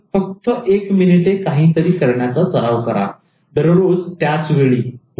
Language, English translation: Marathi, Just practice doing something for one minute each day at the same time